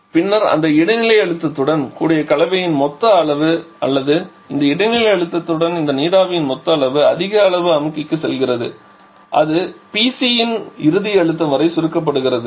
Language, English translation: Tamil, And then the total quantity of mixture with this intermediate pressure total quantity of this vapour with this intermediate pressure goes to the higher level of compressor where it gets compressed up to the final pressure of PC